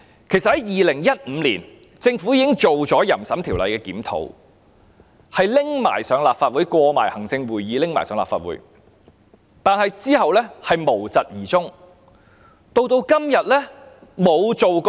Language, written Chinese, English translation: Cantonese, 其實，在2015年，政府已檢討《淫褻及不雅物品管制條例》，而有關建議已通過行政會議，並提交立法會，但其後卻無疾而終。, In fact in 2015 the Government reviewed the Control of Obscene and Indecent Articles Ordinance where the relevant proposals had been passed by the Executive Council and submitted to the Legislative Council . Nonetheless there was no follow - up